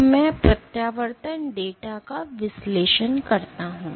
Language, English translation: Hindi, So, I analyze the retraction data